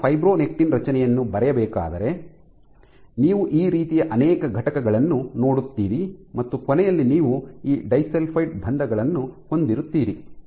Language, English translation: Kannada, So, if I were to draw the structure of fibronectin so you will have multiple units like this and at the end you have these disulfide bonds